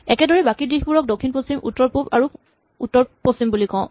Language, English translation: Assamese, Let us call these directions north west, south west, north east and south east